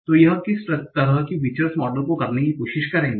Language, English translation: Hindi, So what kind of feature will try to model this